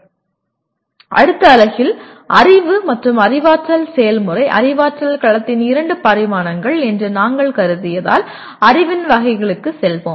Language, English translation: Tamil, Now in the next unit, we will be moving on to the categories of knowledge as we considered knowledge and cognitive process are the two dimensions of cognitive domain